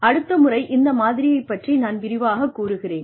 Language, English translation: Tamil, I will go through this model, in greater detail, the next time